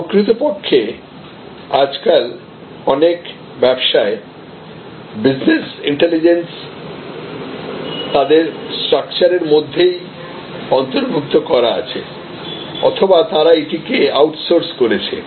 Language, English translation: Bengali, In fact, there is many businesses nowadays have organized business intelligence services, incorporated within the structure or they outsource business intelligence services